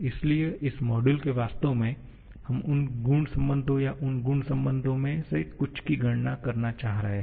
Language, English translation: Hindi, So, in this module actually we are looking to calculate those property relations or certain of those property relations